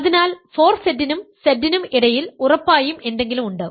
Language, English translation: Malayalam, So, there is something strictly in between 4Z and Z